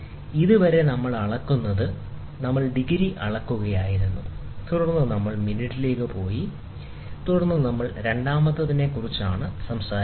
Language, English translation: Malayalam, Till now, what we were measuring is we were measuring it degree, then we went to minute and then we were talking about second